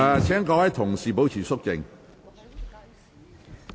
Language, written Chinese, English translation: Cantonese, 請議員保持肅靜。, Will Members please keep quiet